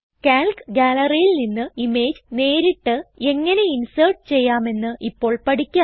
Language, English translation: Malayalam, Now we will learn how to insert images directly from the Calc Gallery